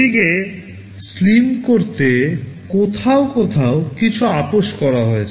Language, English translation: Bengali, To make it slim somewhere there is some compromise that has been made